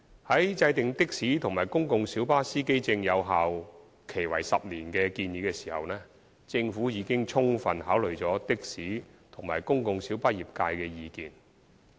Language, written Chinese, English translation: Cantonese, 在制訂的士及公共小巴司機證有效期為10年的建議時，政府已充分考慮的士及公共小巴業界的意見。, When formulating the proposal concerning the 10 - year validity period for taxi and public light bus PLB driver identity plates the Government has fully considered the views from the taxi and PLB trades